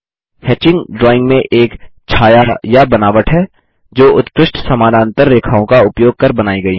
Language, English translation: Hindi, Hatching is a shading or texture in drawing that is created using fine parallel lines